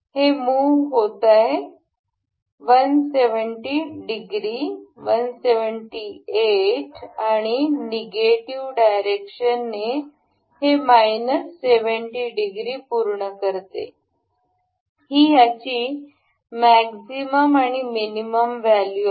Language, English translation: Marathi, This is moving this completes 170 degree, 178 degrees and in the negative direction this is minus 70 degree; maximum value and this minimum value